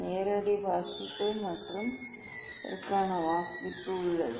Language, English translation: Tamil, direct reading and there is reading for this one